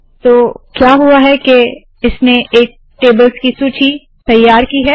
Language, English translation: Hindi, So what has happened is it has created a list of tables